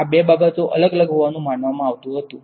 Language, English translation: Gujarati, These were thought to be two different things right